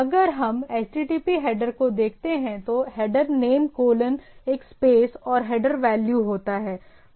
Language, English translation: Hindi, So, if we look at the HTTP header, header name colon a space and the header value